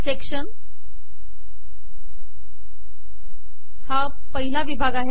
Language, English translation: Marathi, Section, this is first section